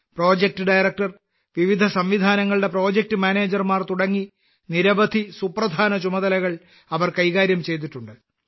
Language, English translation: Malayalam, They have handled many important responsibilities like project director, project manager of different systems